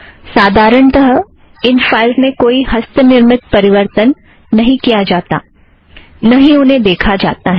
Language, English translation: Hindi, Normally, one would not have to change these files manually or even view them however